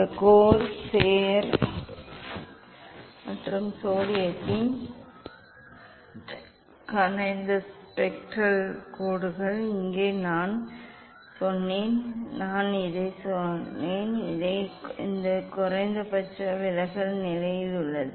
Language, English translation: Tamil, this corsair and that is the corsair here this spectral lines for sodium as I told this I set almost that is at the minimum deviation position